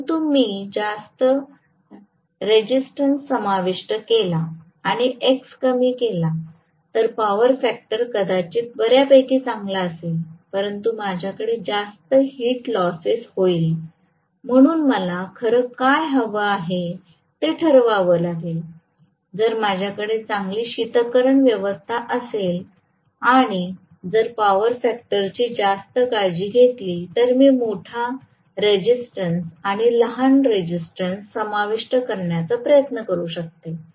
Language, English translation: Marathi, If I include more resistance but less x then the power factor maybe fairly good, but I will have a good amount of heat loses, so I have to decide what really I want, if I have a good cooling arrangement but I am going to take care of the power factor much better then I might try to include a larger resistance and smaller reactance